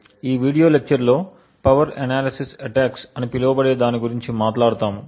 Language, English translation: Telugu, In this video lecture we will talk about something known as Power Analysis Attacks